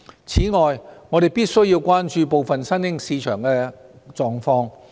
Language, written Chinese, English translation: Cantonese, 此外，我們必須關注部分新興市場的狀況。, In addition we must pay attention to the situation of some of the emerging markets